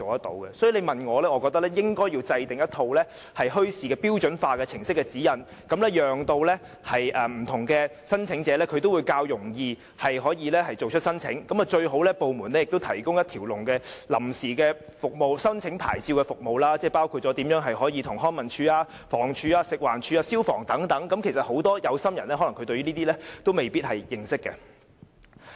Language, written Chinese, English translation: Cantonese, 所以，如果你問我，我認為應該制訂一套舉辦墟市的標準化程序指引，讓不同申請者也可以較容易地提出申請，各部門最好也提供一條龍的申請臨時牌照服務，包括向康樂及文化事務署、房屋署、食環署和消防處申請等，因為很多有心人其實也是未必認識相關程序的。, I think the Government should formulate a set of standardized procedures and guidelines for holding bazaars so as to facilitate different kinds of applicants in making their applications . It will also be best if various government departments including the Leisure and Cultural Services Department the Housing Department FEHD and FSD etc . can provide one - stop service to process applications for temporary licences